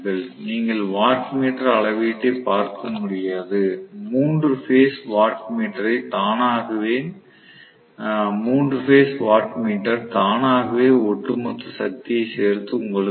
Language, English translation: Tamil, So, you will not be able to read the wattmeter at all, 3 phase wattmeter will automatically add and give you the overall power